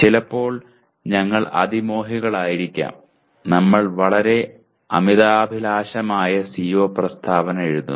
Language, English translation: Malayalam, And sometimes we tend to be over ambitious and we may be writing very ambitious CO statement